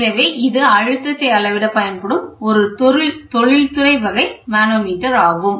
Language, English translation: Tamil, This is industrial type this is a manometer which is used even today